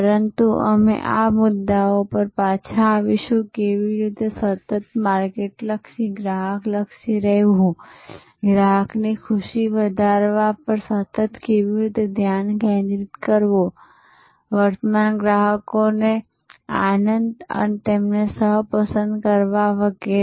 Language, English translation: Gujarati, But, we will come back to these issues about, how to remain constantly market oriented, customer oriented, how to remain constantly focused on enhancing the customer delight, current customers delight, co opting them and so on